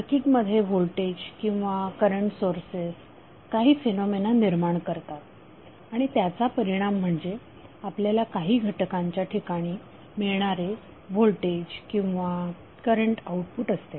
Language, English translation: Marathi, So voltage or current sources is causing some phenomena inside the circuit and as a result that is effect you will get some output voltage or current a particular element